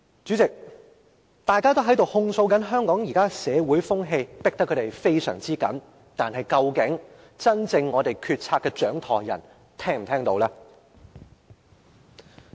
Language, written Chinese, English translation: Cantonese, 主席，大家都在控訴香港現時的社會風氣逼得他們太緊，但究竟真正的決策掌舵人是否聽得見？, President everyone is saying that they are being overwhelmingly pressed by the present social atmosphere but has the real helmsman responsible for formulating the policies heard such an outcry?